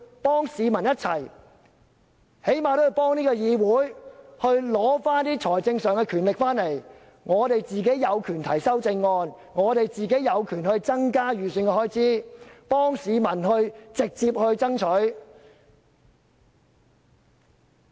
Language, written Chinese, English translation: Cantonese, 便是為市民、為議會最起碼取得財政分配的權力，讓我們有權提出修正案，為市民直接爭取增加某方面的預算開支。, The key mission is to strive for the public and the Council the power to control the finances and the power to propose amendments so that we can directly strive for increasing the spending on certain specific items on behalf of the people